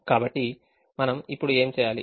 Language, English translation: Telugu, so what do we do now